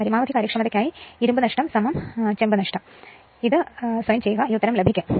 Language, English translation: Malayalam, For maximum efficiency, iron loss is equal to copper loss right, but you this derivative you please do yourself you will get this answer